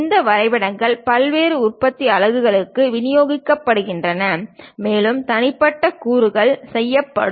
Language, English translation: Tamil, It will be distributed; these drawings will be distributed to variety of manufacturing units and individual components will be made